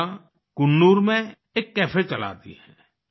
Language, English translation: Hindi, Radhika runs a cafe in Coonoor